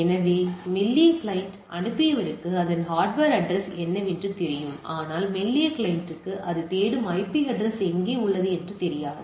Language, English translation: Tamil, So, because I the sender that is thin client know that what is its hardware address, but the thin client does not know where what is the IP address that is it is looking for